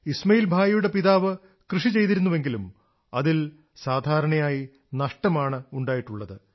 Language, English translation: Malayalam, Ismail Bhai's father was into farming, but in that, he often incurred losses